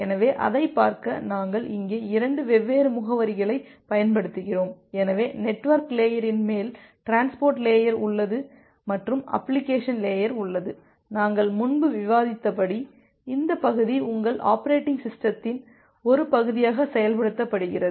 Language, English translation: Tamil, So, to look into that, we use 2 different addresses here, so we have the network layer on top of the network layer, we have the transport layer and on top of the transport layer, I have the application layer and as we discussed earlier, that this part it is implemented as a part of your operating system